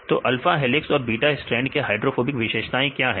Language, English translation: Hindi, So, what is the hydrophobic characteristics of alpha helices and beta strands